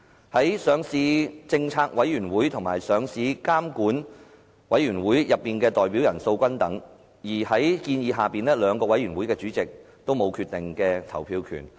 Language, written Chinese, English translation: Cantonese, 在上市政策委員會及上市監管委員會內的代表人數均等，而在建議之下，兩個委員會的主席都沒有決定投票權。, Since the number of representatives of LPC and LRC is the same it is therefore proposed that the chairpersons of the two committees will have no casting vote